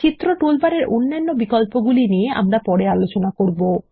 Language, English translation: Bengali, There are other options on the Picture toolbar which we will cover later